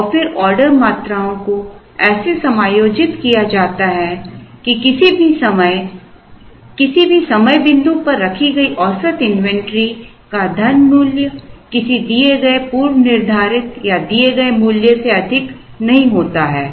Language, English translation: Hindi, And then the order quantities are adjusted such that the money value of the average inventory held at any point does not exceed a given predetermined or given value